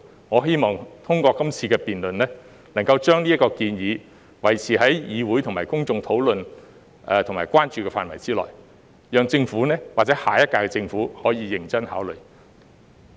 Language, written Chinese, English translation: Cantonese, 我希望透過今次辯論，能夠將這項建議維持在議會和公眾討論及關注的範圍之內，讓政府或下一屆政府可以認真考慮。, I wish that through this debate we can keep this proposal within the realm of discussion and concern of the Council and the public so that the Government of this term or the next term can consider it in a serious manner